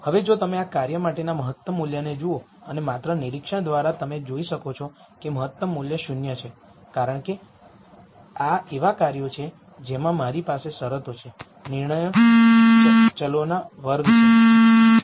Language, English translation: Gujarati, Now, if you look at the optimum value for this function and just by inspec tion you can see that the optimum value is 0 because this are functions where I have terms which are squares of the decision variables